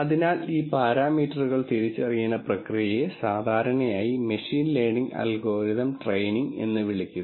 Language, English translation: Malayalam, So, the process of identifying these parameters is what is usually called in machine learning algorithms as training